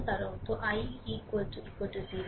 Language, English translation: Bengali, Then i will be 0